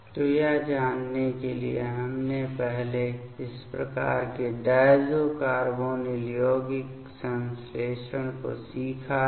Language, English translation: Hindi, So, to know that we have first learned these kind of diazo carbonyl compound synthesis